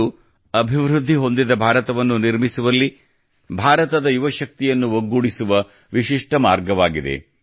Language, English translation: Kannada, This is a unique effort of integrating the youth power of India in building a developed India